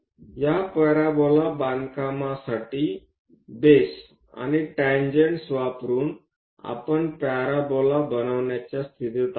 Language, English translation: Marathi, For this parabola construction, what we have used is, by using base and tangents, we are in a position to construct parabola